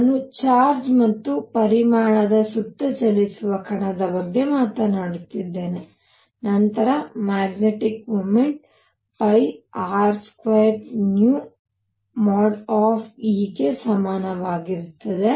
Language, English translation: Kannada, So, let me write this I am talking about a particle moving around charge e magnitude then the magnetic moment is equal to pi R square nu e